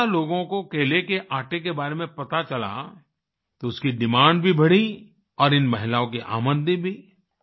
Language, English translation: Hindi, When more people came to know about the banana flour, its demand also increased and so did the income of these women